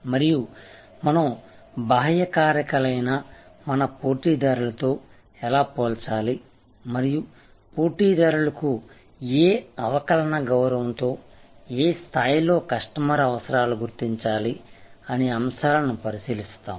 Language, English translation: Telugu, And we look at external factors that how do we compare with competitors and how we need customer needs at what level with what differential respect to competitors